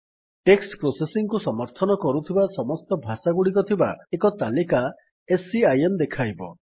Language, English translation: Odia, SCIM will show a list with all the languages it supports text processing in